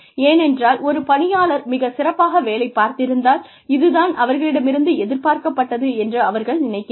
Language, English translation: Tamil, Because, they feel that, if an employee has performed well, that is what is expected of them